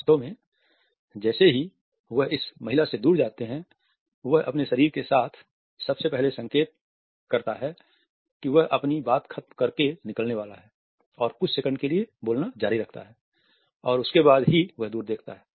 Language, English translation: Hindi, In fact, as he walks away from this woman, he signifies with his body first that he is about to leave by shifting his weight continues to speak for a few more seconds and only then does he look away